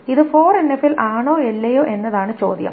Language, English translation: Malayalam, The question is whether this is in 4NF or not